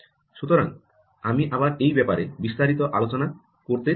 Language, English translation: Bengali, so again, i dont want to get into those details